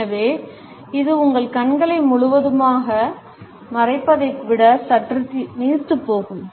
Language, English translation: Tamil, So, it is a little bit more diluted than the full out covering of your eyes